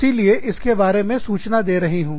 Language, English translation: Hindi, So, i am informing you, about it